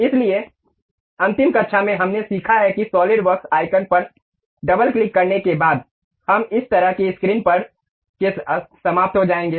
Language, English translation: Hindi, So, in the last class, we have learnt that after double clicking the Solidworks icon, we will end up with this kind of screen